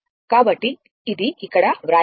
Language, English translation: Telugu, So, that is written here right